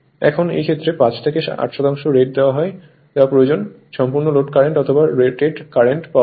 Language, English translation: Bengali, Now, in this case 5 to 8 percent of the rated is required to allow that your full load current or your rated current